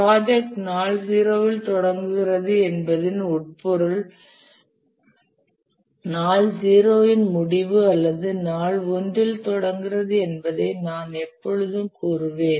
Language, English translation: Tamil, Let me just repeat here that we always say that the project starts in day zero and the implication of that is end of day zero or start of day one